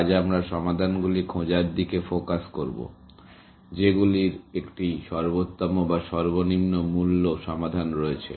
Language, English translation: Bengali, Today, we will look, we will shift focus to finding solutions, which have an optimal or least cost solutions, essentially